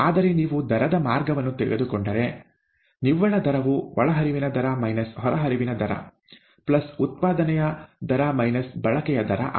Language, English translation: Kannada, Whereas, if you take the rate route, the net rate is nothing but the rate of input minus the rate of output, plus the rate of generation minus the rate of consumption, okay